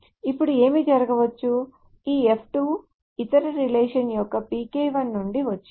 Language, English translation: Telugu, Now what may happen is that this F2 comes from the PK1 of the other relations